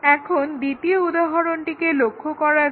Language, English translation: Bengali, Now, let us look at second example